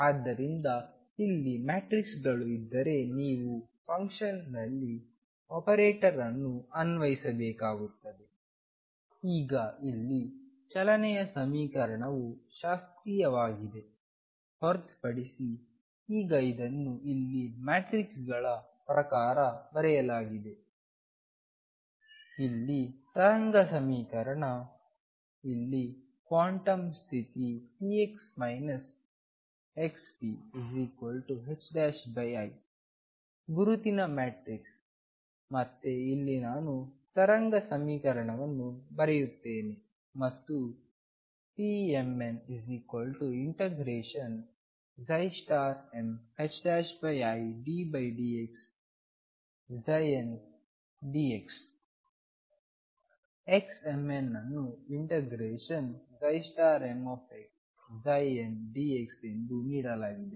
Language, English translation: Kannada, So, if there are matrices in here you have to apply an operator on the function, now here the equation of motion is classical except that now this is written in terms of the matrices here is the wave equation here the quantum condition is p x minus x p equals h cross over i, the identity matrix again here I will write wave equation and p m n equals psi m star h cross over i d by d x psi n d x x m n being given as psi m star x psi n d x